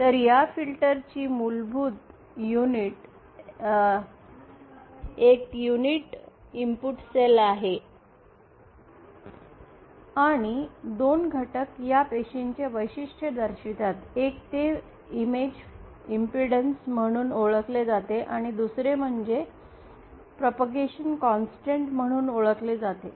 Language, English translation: Marathi, So the basic fundamental units of this filter is a unit cell and two parameters characterize these cells, one is what is that knows as the image impedance, and the other is known as the propagation constant